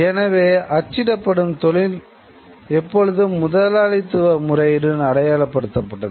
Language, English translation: Tamil, So, and then we therefore print always existed and identified itself with the capitalist mode of production